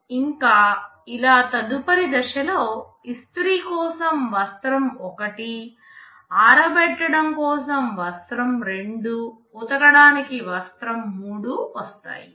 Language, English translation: Telugu, Next step, cloth 1 is coming for ironing, cloth 2 is coming for drying, cloth 3 for washing and so on